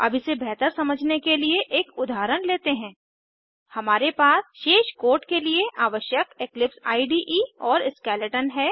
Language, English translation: Hindi, now Let us try an example to understand that better We have the eclipse IDE and the skeleton required for the rest of the code